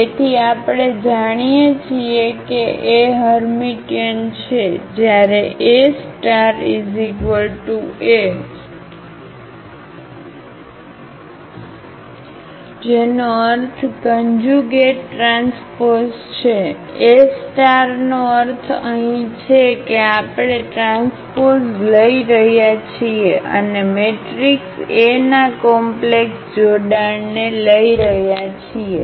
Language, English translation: Gujarati, So, we know that A is Hermitian when A star is equal to A meaning the conjugate transpose, A star means here that we are taking the transport and also we are taking the complex conjugate of the matrix A